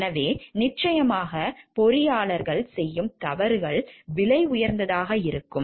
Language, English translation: Tamil, So, and of course, the mistakes made by the engineers can be costly